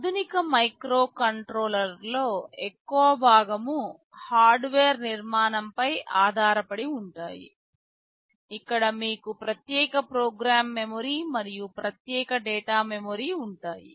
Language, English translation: Telugu, Most of the modern microcontrollers are based on the Harvard architecture, where you will be having a separate program memory and a separate data memory